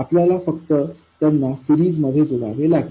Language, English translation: Marathi, All we have to do is put them in series